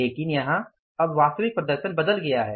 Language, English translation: Hindi, But here the now the actual performance has changed